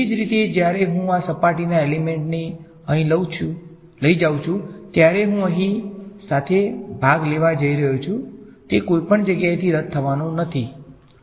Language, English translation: Gujarati, Similarly when I take this surface element over here, I am going to have the part along here is not going to cancel from anywhere right